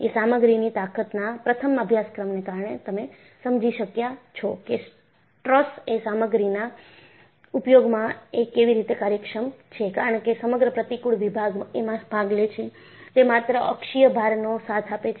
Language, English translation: Gujarati, Because of a first study in strength of materials, you have been able to understand, how a truss is efficient in material usage; because the entire cross section participates, it is supporting only axial load